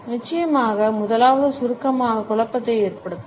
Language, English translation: Tamil, Of course, the first one is that brevity can cause confusion